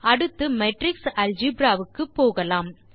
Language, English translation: Tamil, Next let us move on to Matrix Algebra